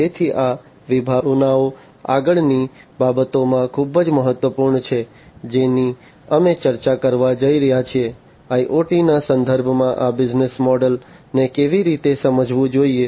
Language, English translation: Gujarati, So, these concepts are very important in the next things that we are going to discuss on how these business models should be understood in the context of IoT